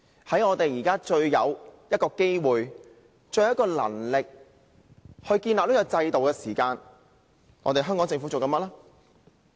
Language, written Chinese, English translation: Cantonese, 在我們最有機會、最有能力建立這個制度時，香港政府在做甚麼呢？, When we have the best chance and the best conditions to establish this system what is the Hong Kong Government doing?